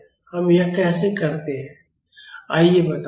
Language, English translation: Hindi, How do we do that let us say